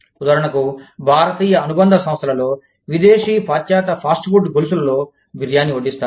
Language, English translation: Telugu, For example, biryani is served, in the Indian subsidiaries, of foreign, of western fast food chains